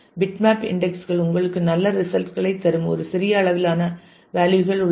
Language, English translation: Tamil, There is a small range of values where bitmap indexes will give you good results